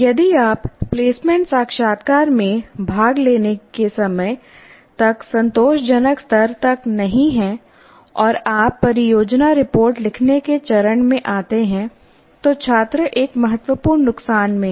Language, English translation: Hindi, So if you are not up to the satisfactory level by the time you start attending placement interviews and you come to the stage of writing project reports, the student is at a great disadvantage